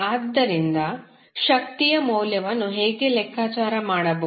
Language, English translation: Kannada, So, how will calculate the value of power